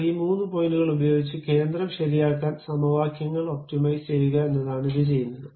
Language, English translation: Malayalam, But what it has done is using those three points optimize the equations to fix the center